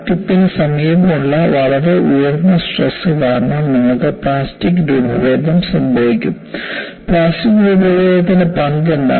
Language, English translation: Malayalam, Because of very high stresses near the vicinity of the crack tip, you will have plastic deformation; and what is the role of plastic deformation